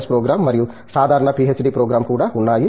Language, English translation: Telugu, Sc program under masters and the regular PhD program